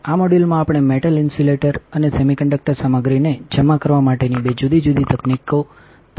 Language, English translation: Gujarati, In this module we will be looking at two different technology for depositing metal, insulator and semiconductor materials